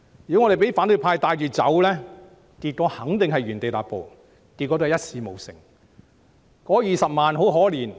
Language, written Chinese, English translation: Cantonese, 如果我們讓反對派牽着走，結果肯定是原地踏步，一事無成。, If we were to be led by the nose by the opposition camp we would be marking time not making any achievement at all